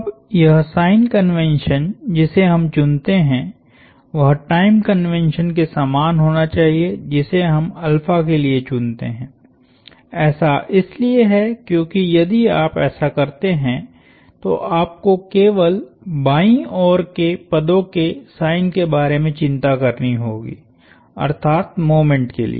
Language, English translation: Hindi, Now this sign convention that we choose is this has to be same as the time convention that we choose for alpha, that is because if you do that you only have to worry about the signs of the terms on the left hand side, the moments